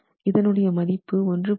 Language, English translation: Tamil, This value you see is 0